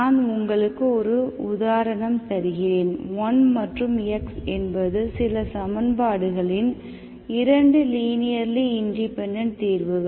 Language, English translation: Tamil, I simply give you an example, 1 and x are 2 linearly independent solutions of some equation let us say